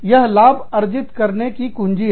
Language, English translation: Hindi, That is the key to, profit making